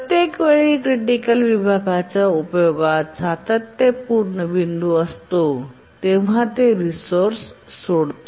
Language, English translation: Marathi, Each time there is a consistent point in its uses of critical section, it just releases the resource